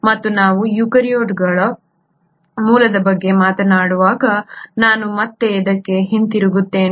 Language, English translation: Kannada, And I will come back to this again when we talk about origin of eukaryotes